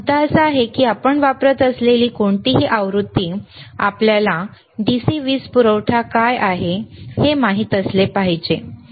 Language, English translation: Marathi, The the point is that, any version you use, you should know what is the DC power supply, all right